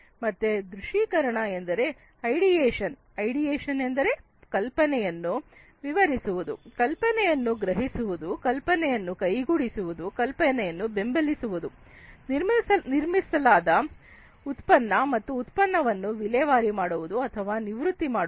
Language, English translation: Kannada, So, visualize means ideation, ideation explaining the idea, perceiving the idea, realizing the idea, supporting the system, the product that is built, and then disposing or retiring the product, that is built